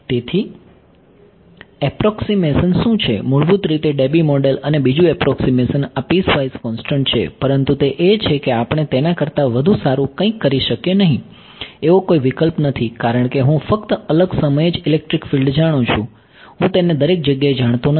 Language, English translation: Gujarati, So, what are the approximations basically Debye model and second approximation is this piecewise constant, but that is there is no choice we cannot do anything better than that because I know electric field only at discrete time instance I do not know it everywhere